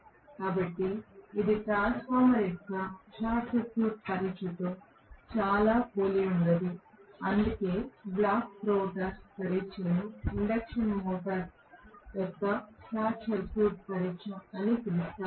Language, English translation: Telugu, So, is not it very similar to the short circuit test of a transformer that is why the block rotor test is also known as short circuit test of the induction motor